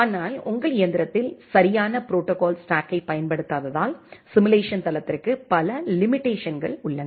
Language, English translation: Tamil, But simulation platform has many limitation because it is not using the exact protocol stack which is running inside your machine